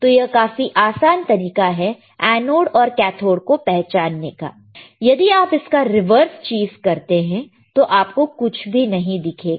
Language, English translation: Hindi, So, is easy we identify that yes this is anode this is cathode, if you do reverse thing we will not be able to see anything correct